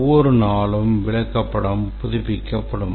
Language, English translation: Tamil, Every day it is updated, the chart is updated